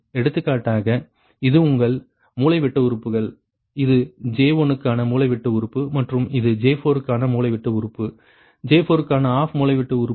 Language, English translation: Tamil, for example, this one, this is your diagonal elements, this is off diagonal element for j one and this is diagonal element for j four, off diagonal element for j four